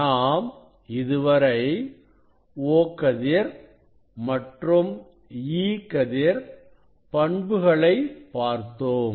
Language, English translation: Tamil, we can see; we can see the behavior of o ray and e ray